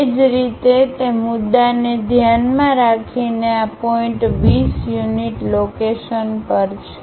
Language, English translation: Gujarati, Similarly, with respect to that point this point is at 20 units location